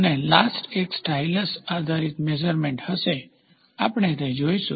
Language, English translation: Gujarati, And the last one will be stylus based measurement, we will go through it